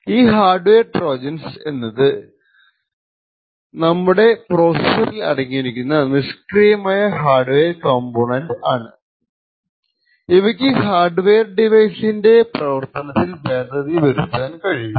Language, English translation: Malayalam, So, these hardware Trojans are typically passive hardware components present in your processor or any other device and these hardware Trojans can potentially alter the functionality of the hardware device